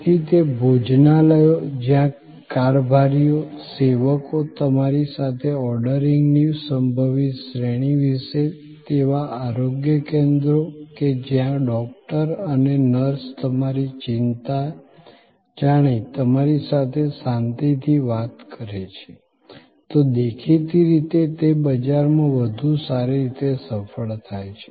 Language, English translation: Gujarati, So, those restaurants, where the stewards, the servers discuss with you about your possible range of ordering, those health care facilities, where the doctors and nurses interact with the customer as switch their anxieties, explain to them the procedure that are being conducted, can; obviously, succeed better in the market place